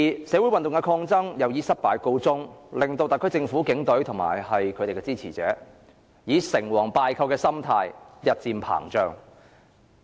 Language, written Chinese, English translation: Cantonese, 社會運動的抗爭以失敗告終，令特區政府、警隊和其支持者成王敗寇的心態日漸膨脹。, As the social resistance movement came to a fiasco the winning parties of the SAR Government the Police Force and their supporters have increasingly been dominated by the victor - to - rule mentality